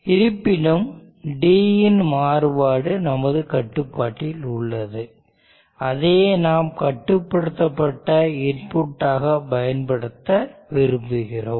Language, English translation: Tamil, However, the variation of D is under your control and that is what we would like to use as the control input